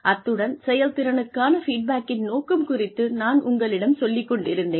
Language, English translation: Tamil, And, I was telling you, about the purpose of, the feedback on performance